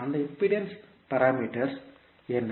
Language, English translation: Tamil, What are those impedance parameters